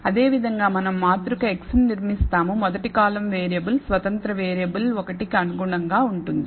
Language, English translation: Telugu, Similarly we will construct a matrix x where the first column corresponds to variable, independent variable 1